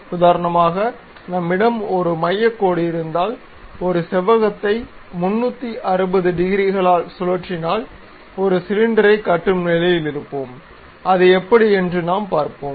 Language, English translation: Tamil, For example, if we have, if I have a centre line, if I can construct a rectangle, rotating that rectangle by 360 degrees also, we will be in a position to construct a cylinder and that is the thing what we will see